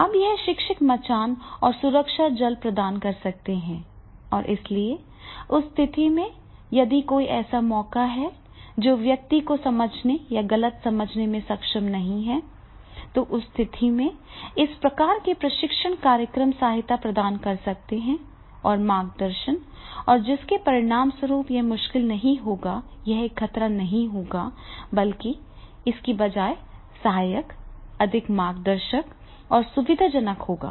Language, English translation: Hindi, Now here the teachers can provide this scaffolding and the safety nets and therefore in that case if there any chance that is the person is not able to understand or misunderstood, then in that case this type of the training program they provide them the support and guidance and as a result of which it will not it will not be difficult, it will not be a danger rather than it will be supportive, it will be more guiding and it will be facilitator